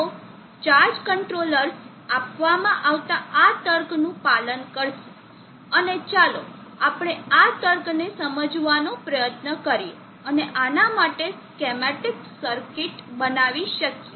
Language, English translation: Gujarati, So measured to the charge controllers will follow this logic and let us try to see understand this logic and build the circuits schematic for this